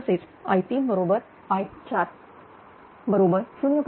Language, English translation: Marathi, So, i 3 is equal to 0